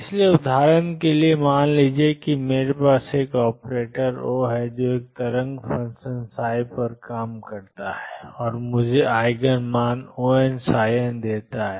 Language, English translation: Hindi, So, for example suppose I have an operator O which operates on a wave function psi and gives me the Eigen value O n psi n